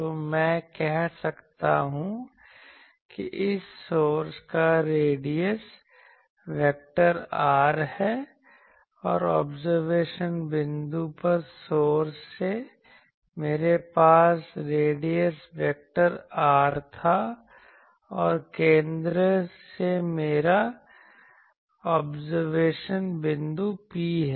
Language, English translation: Hindi, So, I can say that the radius vector of this source is r dashed and the from the source at the observation point, I had the radius vector R and from the center I have to the observation point P